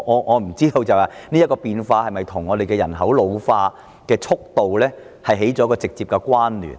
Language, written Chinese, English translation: Cantonese, 我不知道這種變化是否與人口老化的速度息息相關？, I wonder if such changes are closely related to the pace of our ageing population